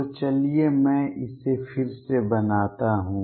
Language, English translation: Hindi, So, let me again make it